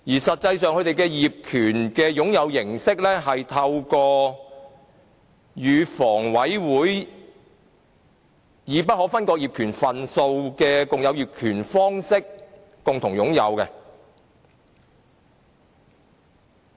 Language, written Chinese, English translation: Cantonese, 實際上，他們的業權擁有形式是透過與房委會以不可分割業權份數的共有業權方式共同擁有。, In fact in respect of the form of ownership it shares the ownership with HA in the form of undivided shares